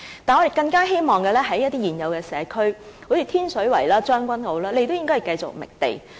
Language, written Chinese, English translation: Cantonese, 但是，我們更希望的是在現有社區，例如天水圍、將軍澳等，政府也繼續覓地。, However we hope all the more that the Government will also continue to identify sites for this purpose in existing communities for example Tin Shui Wai and Tseung Kwan O